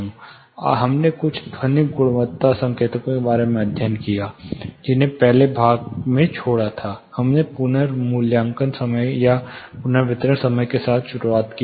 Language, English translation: Hindi, We studied about certain acoustic quality indicators, which you know we left in the previous section; we started with the reverberation time